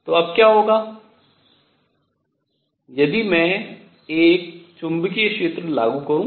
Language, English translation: Hindi, What happens now if I apply a magnetic field